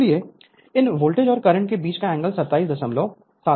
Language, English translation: Hindi, So, angle between these voltage and current is 27